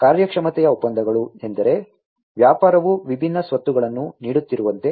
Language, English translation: Kannada, Performance contracts means like the business is offering different assets